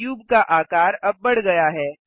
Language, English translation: Hindi, The cube is now scaled